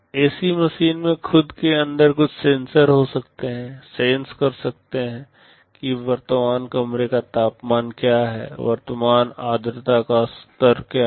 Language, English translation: Hindi, The ac machine itself can have some sensors inside it, can sense what is the current room temperature, what is the current humidity level